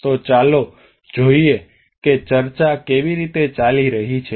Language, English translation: Gujarati, So let us see how the discussion is going on